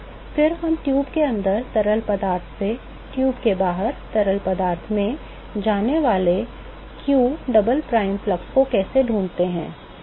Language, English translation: Hindi, Then what about how do we find q double prime flux of heat that goes from the fluid inside the tube to the fluid outside the tube